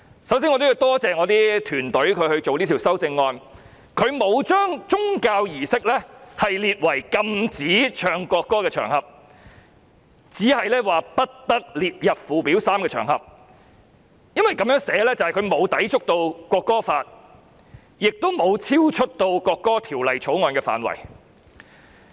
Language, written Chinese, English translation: Cantonese, 首先我要感謝我的團隊，他們草擬這項修正案時，沒有將宗教儀式訂為無須奏唱國歌的場合，只是不得列入附表 3， 因為這樣的寫法便不會抵觸《條例草案》，亦不會超出《條例草案》的範圍。, First of all I have to thank my team for when drafting this amendment not setting religious services as the occasions on which the national anthem needs not be played but only not to be set out in Schedule 3 . The reason is that such drafting will neither be in conflict with the Bill nor outside its scope